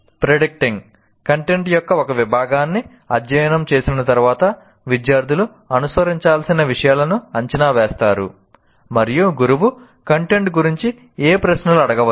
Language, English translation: Telugu, After studying a section of the content, the students predict the material to follow and what questions the teacher might ask about the content